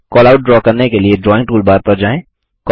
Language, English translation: Hindi, To draw a Callout, go to the Drawing toolbar